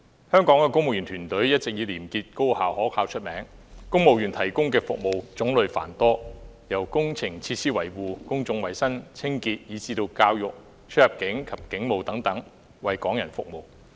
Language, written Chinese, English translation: Cantonese, 香港公務員團隊一直以廉潔、高效、可靠見稱，並且公務員為香港市民所提供的服務種類繁多，涵蓋工程設施維護、公眾衞生、教育、出入境事務及警務等多個範疇的工作。, The civil service in Hong Kong has always been known for its integrity high efficiency and reliability . Moreover our civil servants provide a wide range of services to members of the public covering work in various areas such as engineering facilities maintenance public health education immigration and policing